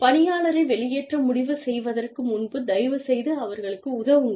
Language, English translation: Tamil, Please help the employee, before you decide to discharge them